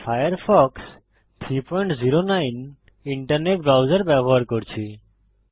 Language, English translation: Bengali, I am using Firefox 3.09 internet browser